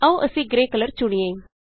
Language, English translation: Punjabi, Let us click on Grey color